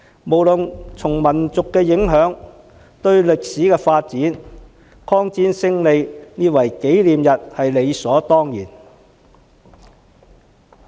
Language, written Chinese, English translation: Cantonese, 不論從民族影響或歷史發展而言，紀念抗戰勝利也是理所當然。, In terms of the influence on the Chinese nation and historical development it is justifiable for us to commemorate Chinas victory against Japanese aggression